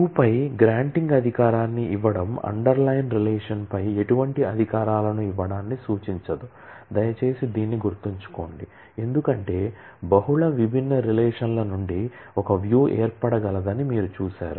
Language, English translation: Telugu, Granting a privilege on a view does not imply granting any privileges on the underline relation, please mind this one, because, you have seen that a view can be formed from multiple different relations